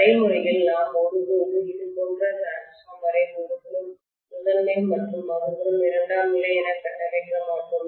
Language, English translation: Tamil, Practically, we would never ever construct the transformer like this the primary on one side and secondary on the other side